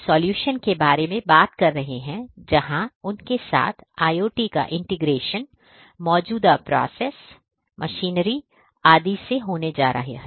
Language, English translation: Hindi, They are talking about having solutions where integration of IoT with their existing processes, machinery etc